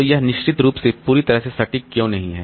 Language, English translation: Hindi, So, why is this not completely accurate